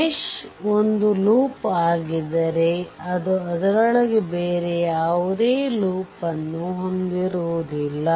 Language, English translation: Kannada, If mesh is a loop it does not contain any other loop within it right